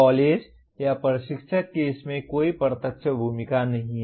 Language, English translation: Hindi, The college or instructor has no direct role in that